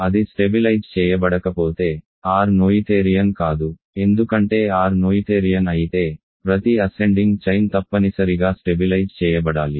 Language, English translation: Telugu, If it does not stabilize, R cannot be noetherian because if R is noetherian, every ascending chain of ideals must stabilize